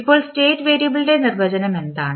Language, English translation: Malayalam, Now, what is the definition of the state variable